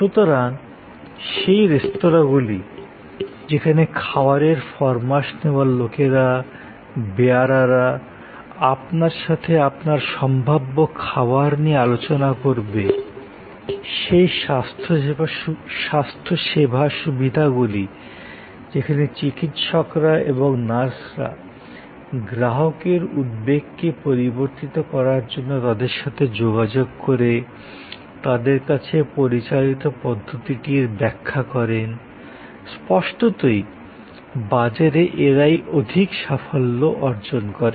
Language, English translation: Bengali, So, those restaurants, where the stewards, the servers discuss with you about your possible range of ordering, those health care facilities, where the doctors and nurses interact with the customer as switch their anxieties, explain to them the procedure that are being conducted, can; obviously, succeed better in the market place